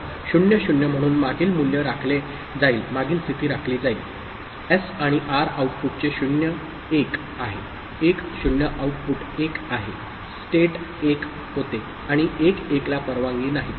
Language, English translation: Marathi, So, 0 0, so previous value is retained, previous state is retained; 0 1 of S and R output is 0; 1 0 output is 1 state becomes 1 and 1 1 is not allowed